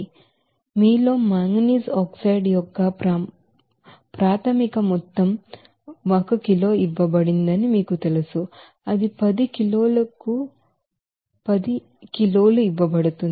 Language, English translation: Telugu, So, initial amount of manganese oxide in you know it is given in kg that is 10 kg it is given